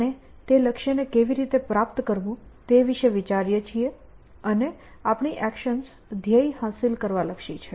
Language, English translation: Gujarati, We think about how to achieve that goal and our actions are oriented towards that achieving the goal essentially